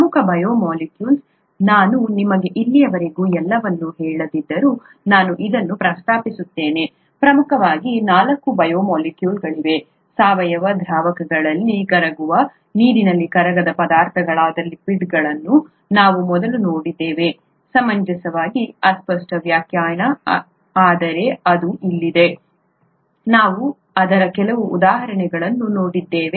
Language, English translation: Kannada, The major biomolecules, I keep mentioning this although I haven’t told you everything so far, the major biomolecules are four, we first saw lipids which are water insoluble substances that are soluble in organic solvents, reasonably vague definition but that’s what it is, we saw some examples of it